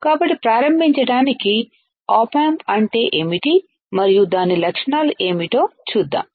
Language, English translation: Telugu, So, to start with let us see what is op amp and what are its characteristics right